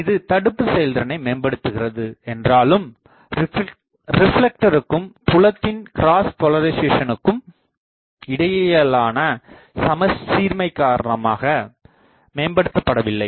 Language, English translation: Tamil, This improves blocking efficiency, but due to non symmetry between reflector and field cross polarisation is not improved for this